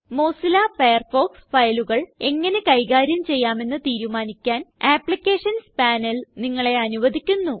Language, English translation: Malayalam, The Applications panel lets you decide how Mozilla Firefox should handle different types of files